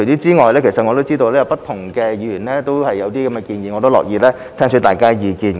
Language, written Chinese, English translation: Cantonese, 此外，我知道不同議員亦有類似建議，我樂意聽取大家的意見。, Besides I understand that various Members also have similar suggestions and I am happy to listen to Members views